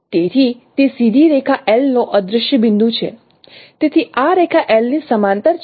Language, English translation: Gujarati, So that is the vanishing point of the straight line L